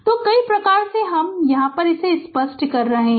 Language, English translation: Hindi, So, several types of let me clear it